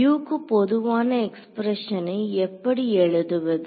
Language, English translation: Tamil, So, how do I in write a general expression for U